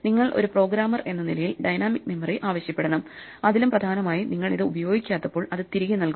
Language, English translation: Malayalam, You have to, as a programmer, ask for dynamic memory and more importantly when you are no longer using it, return it back